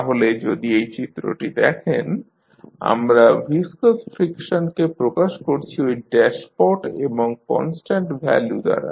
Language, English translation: Bengali, So, if you see this figure we represent the viscous friction with the dashpot and the constant value is B